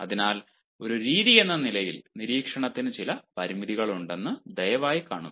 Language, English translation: Malayalam, so please see that observation as a method has certain limitations